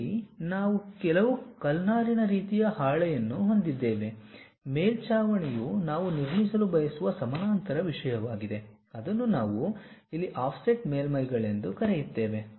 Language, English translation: Kannada, Here, we have some asbestos kind of sheet, the roof a parallel thing we would like to construct, that is what we call offset surfaces here also